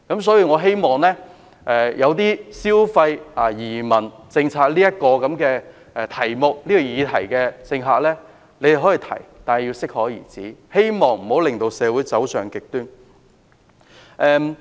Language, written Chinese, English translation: Cantonese, 所以，政客可以消費移民政策這個議題，但要適可而止，不要令社會走上極端。, Hence politicians can abuse the immigration policy but they should stop before going too far and not to lead society to the extreme